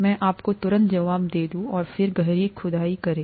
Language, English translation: Hindi, Let me give you the answer right away, and then dig deeper